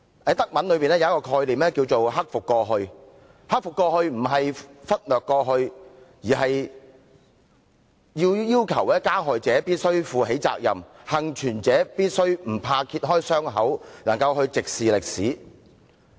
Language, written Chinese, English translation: Cantonese, 在德文中有一種概念名為"克服過去"，"克服過去"並非忽略過去，而是要求加害者必須負起責任，幸存者必須不怕揭開傷口，能夠直視歷史。, In German there is the concept of overcoming the past . Overcoming the past does not mean neglecting the past; it requires the persecutors to take responsibilities and the survivors to bravely uncover their wounds and squarely face history